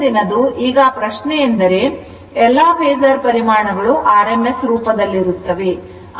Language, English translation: Kannada, Right Next is, now question is that note that in terms of phasor quantities are all rms value right